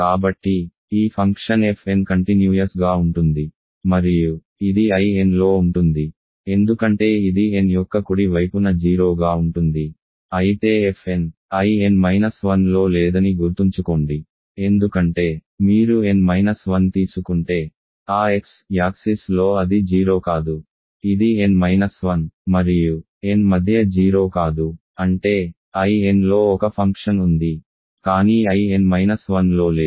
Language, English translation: Telugu, So, this function then f n is of course, continuous and it is in I n because it is 0 to the right of n, but f n remember is not in I n minus 1 because if you take n minus 1, it is not 0 on that x axis right, it is not 0 between n minus 1 and n so; that means, that